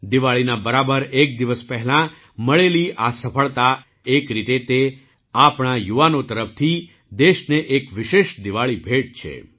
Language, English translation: Gujarati, This success achieved just a day before Diwali, in a way, it is a special Diwali gift from our youth to the country